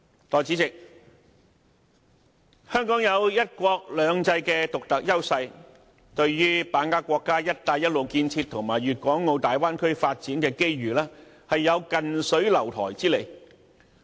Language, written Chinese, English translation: Cantonese, 代理主席，香港有"一國兩制"的獨特優勢，對於把握國家"一帶一路"建設和大灣區發展的機遇，有近水樓台之利。, Deputy President Hong Kong has the unique advantage of one country two systems and being in close proximity to the country Hong Kong is in a favourable position to grasp the opportunities brought by the national Belt and Road Initiative and the Bay Area development